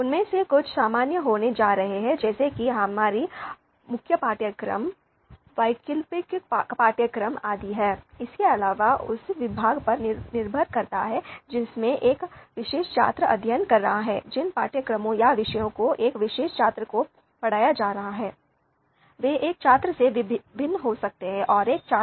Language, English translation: Hindi, Some of them are going to be common like we have core courses, elective courses and that kind of thing and then depending on the department that a particular student is studying, the courses, the subjects which are which a a particular student is being taught, they might be vary they might be different from one student to another student